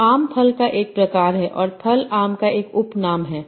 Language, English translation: Hindi, So mango is a hyponym of fruit and fruit is a hypername of mango